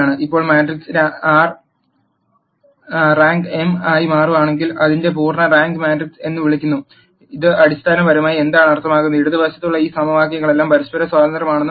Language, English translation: Malayalam, Now if the rank of the matrix turns out to be m, then it is what is called the full rank matrix, what this basically means, that all of these equations on the left hand side are independent of each other